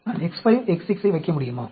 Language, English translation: Tamil, Can I put X 5, X 6